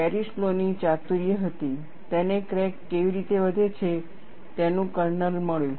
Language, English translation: Gujarati, The ingenuity of Paris law was he got the kernel of how the crack grows